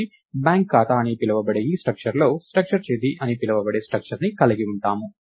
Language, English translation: Telugu, So, we have a structure called structure date within this structure called bank account